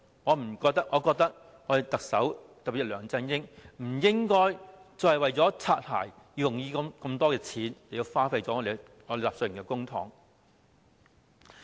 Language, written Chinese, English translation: Cantonese, 我認為政府，特別是特首梁振英，不應該再為"擦鞋"而花這麼多錢，浪費納稅人的公帑。, I consider that the Government particularly Chief Executive LEUNG Chun - ying should stop spending so much money on bootlicking wasting public coffers of the taxpayers